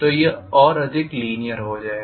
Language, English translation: Hindi, So it will become more and more linear